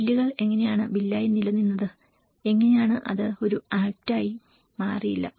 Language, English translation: Malayalam, How the bills remained as a bill and how it has not been turned into an act